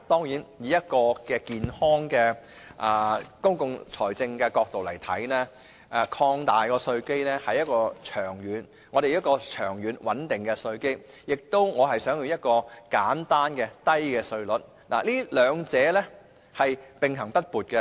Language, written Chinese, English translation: Cantonese, 從健康的公共財政角度來看，擴闊稅基是長遠需要，長遠穩定的稅基與簡單低稅制兩者並行不悖。, From the perspective of sound public finance there is a long - term need to broaden our tax base and a stable tax base in the long run does not run counter to a simple and low tax regime